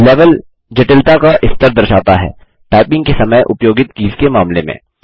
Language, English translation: Hindi, Level indicates the level of complexity, in terms of the number of keys used when typing